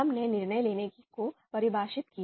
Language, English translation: Hindi, We defined decision making